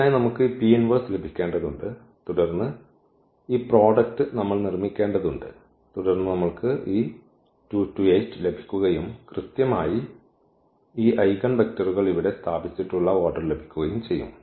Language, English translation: Malayalam, So, we need to get this P inverse and then this product we have to make and then we will get this 2 2 and exactly the order we have placed here these eigenvectors